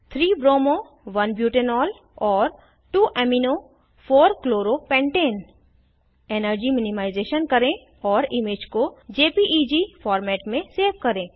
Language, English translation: Hindi, * Create models of the following molecules.3 bromo 1 butanol and 2 amino 4 chloro pentane * Do energy minimization and save the image in JPEG format